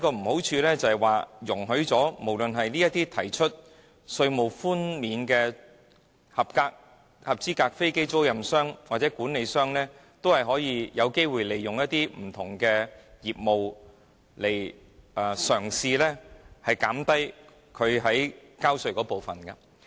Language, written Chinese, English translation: Cantonese, 如此的話，便是為一些提出稅務寬免的合資格飛機租賃商或管理商提供機會，容許他們利用不同業務嘗試令應繳稅款減低。, In that case it is the same as providing qualifying aircraft lessors or managers with opportunities of engaging in various types of business in a bid to lower the amount of tax payable